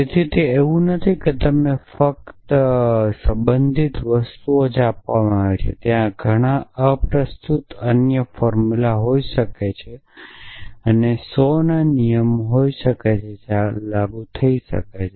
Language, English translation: Gujarati, So, it is it is not that only relevant things are given to you there may be many irrelevant other formulas and there may be 100s of rule which may be applicable